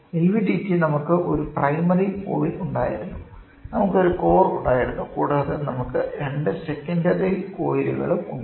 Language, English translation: Malayalam, LVDT please go back and remember we had a primary coil, we had a core and then we have 2 secondary coils